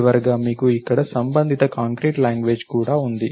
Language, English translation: Telugu, Finally, you have a corresponding concrete language over here